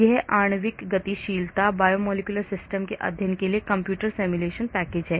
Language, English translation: Hindi, it is molecular dynamics, computer simulation package for the study of biomolecular systems